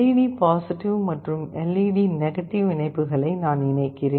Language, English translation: Tamil, You see here I am connecting the LED+ and LED connections